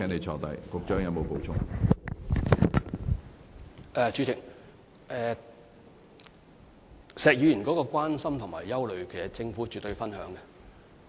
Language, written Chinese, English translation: Cantonese, 主席，對於石議員的關心和憂慮，政府絕對有同感。, President the Government shares Mr SHEKs concern and worry